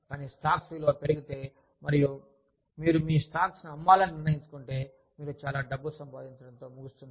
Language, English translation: Telugu, But, if the value of the stocks goes up, and you decide to sell your stocks, you end up making, a lot of money